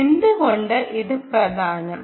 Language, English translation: Malayalam, ok, why is this important